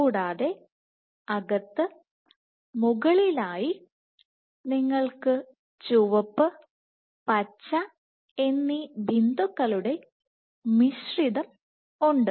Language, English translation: Malayalam, and then inside within the slow speckle zone you have mixture of both red and green dots